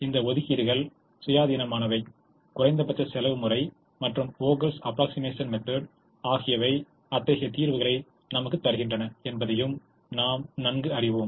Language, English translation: Tamil, and we also know that the minimum cost method and the vogel's approximation method give us such solutions